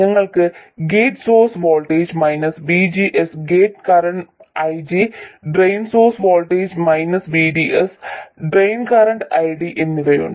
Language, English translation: Malayalam, We have the gate source voltage VG and the gate current IG, the drain source voltage VDS and the drain source voltage VDS and the drain current ID